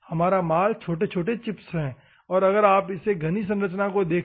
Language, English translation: Hindi, Our goods are tiny chips if the dense structure